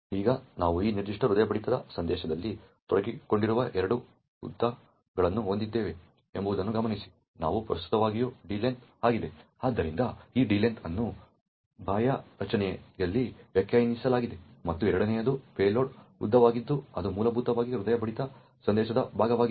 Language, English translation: Kannada, Now, notice that we have two lengths that are involved in this particular heartbeat message, one is the D length which is present, so this D length is defined in the outer structure and the second one is the load length which is essentially part of the heartbeat message which is part of the data defined over here in the SSL 3 structure